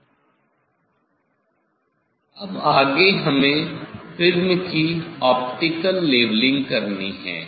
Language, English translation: Hindi, now, next we have to go for optical leveling, optical leveling of the prism